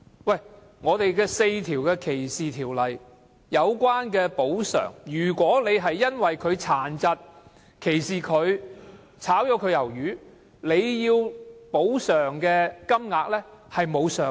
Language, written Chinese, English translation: Cantonese, 香港的4項反歧視條例訂明，如果資方因為歧視某員工殘疾而解僱他，需要支付的補償金額並無上限。, According to the four anti - discrimination ordinances in Hong Kong if an employee is dismissed on account of his disabilities the employer will have to pay compensation and no ceiling amount has been set